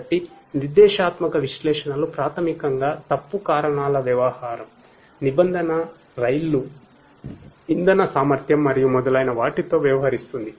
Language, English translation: Telugu, So, prescriptive analytics basically deals with fault causes, condition trains, fuel efficiency and so on